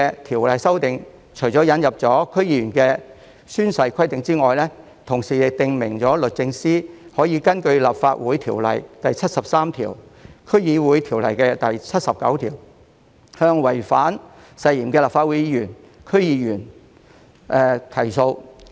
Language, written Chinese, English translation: Cantonese, 《條例草案》除了引入區議員的宣誓規定外，同時訂明律政司司長可以根據《立法會條例》第73條、《區議會條例》第79條，向違反誓言的立法會議員或區議員提訴。, Apart from introducing the oath - taking requirements for DC members the Bill has also stipulated that under section 73 of the Legislative Council Ordinance and section 79 of the District Councils Ordinance the Secretary for Justice may bring proceedings against a Legislative Council Member or a DC member on the grounds of breach of oath